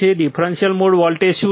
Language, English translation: Gujarati, What is differential mode voltage